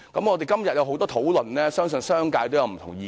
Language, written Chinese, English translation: Cantonese, 我們今天有很多討論，相信商界亦有不同意見。, We have had a lot of discussion today and I think the business sector has different views